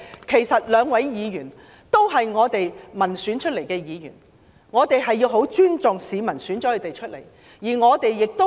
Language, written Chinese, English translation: Cantonese, 其實，兩位有關的議員均經由民選產生，因此我們必須尊重市民的選擇。, As a matter of fact the two Members concerned are elected by the people we should therefore respect the choice of the people